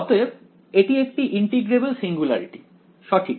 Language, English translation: Bengali, So, it is an integrable singularity right